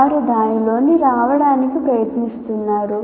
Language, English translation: Telugu, They are trying to come within that